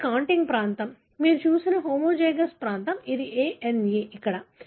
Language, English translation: Telugu, This is the contig region, homozygous region that you have seen that is A N E, here